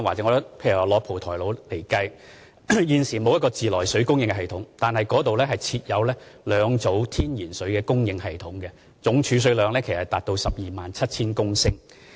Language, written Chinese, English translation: Cantonese, 以蒲台島為例，雖然現時沒有自來水供應系統，但該島設有兩組天然水的供應系統，總儲水量達到 127,000 公升。, Taking Po Toi Island as an example currently there is no treated water supply system there but the island is equipped with two natural water supply systems with a total storage of 127 000 litres